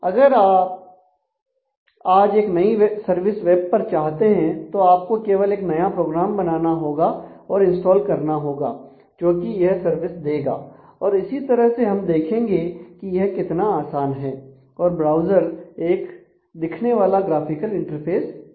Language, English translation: Hindi, So, if you want a new service on the web then you all that you simply need to do is to create and install a new program that will provide that service and through this process we will see how easily this can be done and how web browser provides a graphical interface to this information service